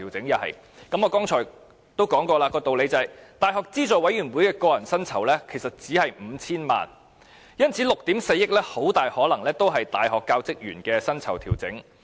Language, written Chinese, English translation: Cantonese, 同樣，根據我剛才已提出的道理，教資會的個人薪酬支出只是 5,000 萬元，因此 ，6 億 4,000 萬元中大部分很可能是用於大學教職員的薪酬調整。, Likewise applying the same rationale I have just presented the personal emoluments of UGC are only 50 million and so a large part of the 640 million is probably used for the pay adjustment of staff of universities